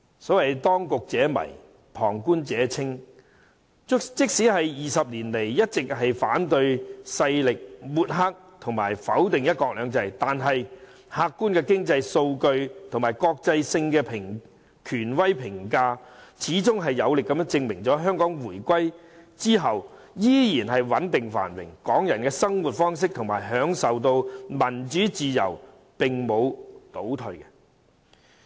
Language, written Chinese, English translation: Cantonese, 所謂當局者迷，旁觀者清。即使反對勢力在20年間一直抹黑和否定"一國兩制"，但客觀經濟數據和國際性權威評價，始終有力地證明了香港在回歸後依然穩定繁榮，港人的生活方式和享受到的民主自由並沒有倒退。, Although the opposition camp has never stopped discrediting and denying one country two systems in the past 20 years objective economic data and authoritative international ratings have proved beyond doubt that Hong Kong remains stable and prosperous after the reunification while Hong Kongs way of life as well as the freedom of democracy enjoyed by the people have not retracted